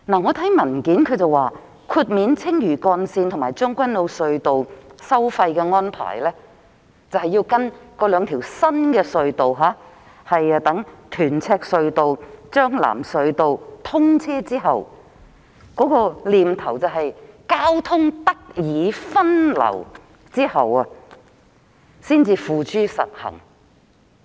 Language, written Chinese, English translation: Cantonese, 政府的文件指出，豁免青嶼幹線及將軍澳隧道的使用費的安排，將在屯赤隧道和將藍隧道兩條新隧道通車時實施，意即在交通得以分流後，才付諸實行。, It is indicated in the Governments paper that a toll waiver will be introduced for the Lantau Link and the Tseung Kwan O Tunnel when the two new tunnels are commissioned respectively meaning that the toll - free arrangement will come into effect only after diversion of traffic is done